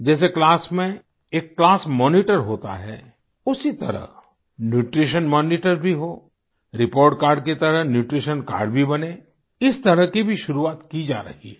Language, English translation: Hindi, Just like there is a Class Monitor in the section, there should be a Nutrition Monitor in a similar manner and just like a report card, a Nutrition Card should also be introduced